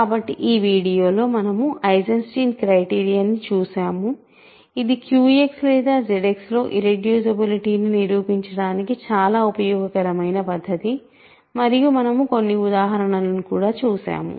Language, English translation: Telugu, So, in this video we looked at Eisenstein criterion which is an extremely useful technique to prove irreducibility in Q X or Z X and we also looked at some examples